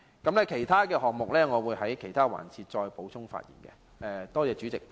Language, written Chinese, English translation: Cantonese, 至於其他項目，我會在其他辯論環節再次發言。, I will speak again in other debate sessions on some other initiatives